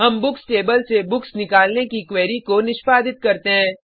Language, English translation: Hindi, We execute query to fetch books from Books table